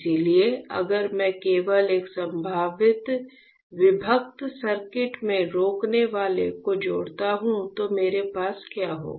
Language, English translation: Hindi, So, if I just connect the resistor in a potential divider circuit, what will I have